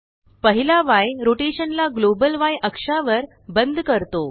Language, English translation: Marathi, The first y locks the rotation to the global y axis